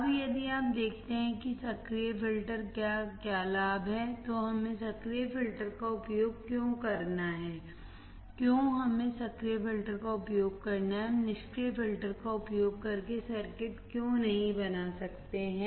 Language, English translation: Hindi, Now, if you see what are the advantage of active filters, why we have to use active filters, why we have to use active filters, why we cannot generate the circuits using passive filters